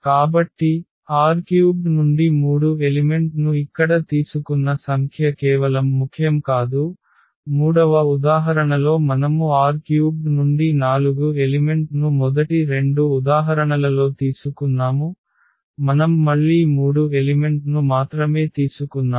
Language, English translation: Telugu, That just the number is not important that we have taken here three elements from R 3 in this, in the third example we have taken four elements from R 3 in first two examples we have taken again only three elements